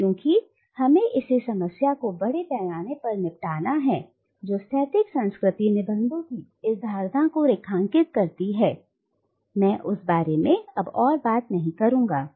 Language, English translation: Hindi, But, and because we have extensively dealt with the problem that underlines and undermines this notion of static cultural essences, I will not go into them